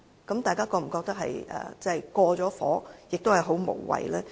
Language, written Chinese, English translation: Cantonese, 大家會否覺得這有點過火，亦很無謂呢？, Do we consider that this has gone too far and pretty senseless?